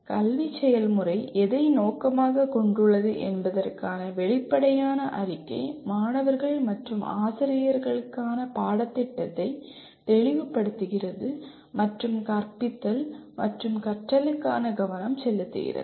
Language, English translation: Tamil, An explicit statement of what the educational process aims to achieve clarifies the curriculum for both the students and teachers and provide a focus for teaching and learning